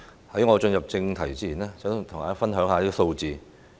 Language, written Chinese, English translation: Cantonese, 在我進入正題前，想跟大家分享一些數字。, Before I get to the point I would like to share some statistics with you